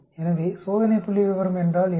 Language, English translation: Tamil, So what is the test statistics